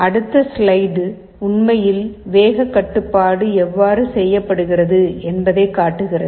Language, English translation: Tamil, The next slide actually shows you how the speed control is done